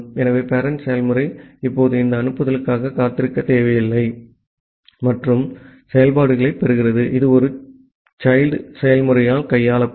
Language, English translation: Tamil, So, the parent process now do not need to wait for this send and receive functionalities, which will be handled by a child process